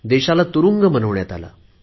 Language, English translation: Marathi, The country was turned into a prison